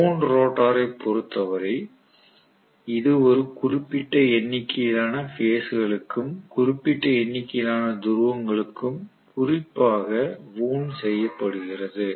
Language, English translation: Tamil, Whereas wound rotor, it is wound specifically for a particular number of phases and particular number of poles